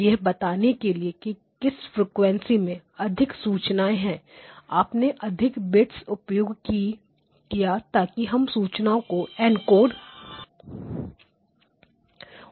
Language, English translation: Hindi, And whichever frequency been has got more information you use more bits to encode that information, right